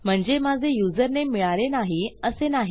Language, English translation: Marathi, This doesnt mean that my username hasnt been found